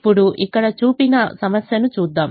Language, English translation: Telugu, now let us look at a problem that is shown here